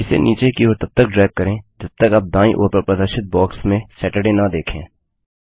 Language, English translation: Hindi, Drag it downwards till you see Saturday in the display box on the right